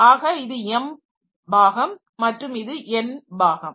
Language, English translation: Tamil, So, this is my M part and this is the n part